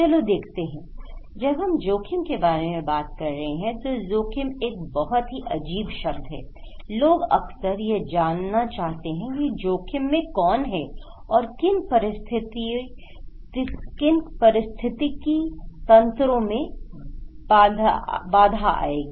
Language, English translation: Hindi, When we are talking about risk, risk is a very funny word, very very funny word; people want to know that who is at risk, what ecosystem will be hampered